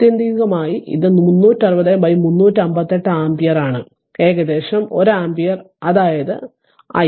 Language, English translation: Malayalam, So, ultimately it is 360 upon 358 ampere approximately 1 ampere that is i right